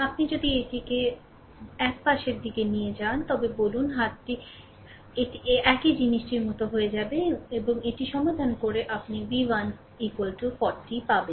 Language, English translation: Bengali, If you bring it to everything to ah 1 side say, right hand side, it will becoming like this same thing, right and solving this you will get v 1 is equal to 40 volt, right